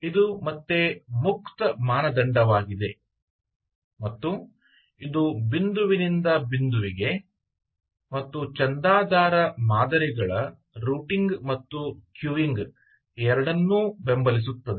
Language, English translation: Kannada, this is a open standard again, and it supports both point to point as well as publish, subscribe models, routing and queuing